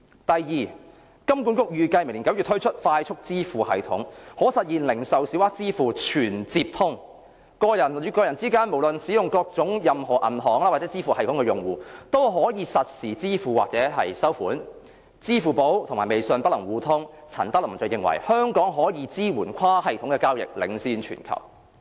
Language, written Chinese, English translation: Cantonese, 第二，金管局預計明年9月推出快速支付系統，可實現零售小額支付"全接通"，個人與個人之間無論各自使用甚麼銀行或支付系統的用戶，都可以實時付款或收款；支付寶及微信不能互通，陳德霖認為香港可以支援跨系統交易，領先全球。, Second HKMA expects to roll out next September a Faster Payment System which features full connectivity for retail payments and can achieve real - time settlement between individuals making or receiving payments regardless of the bank accounts or payment systems they use . Alipay and WeChat are not connected but Norman CHAN thinks Hong Kong can support cross - system transactions and be the leader in this aspect in the world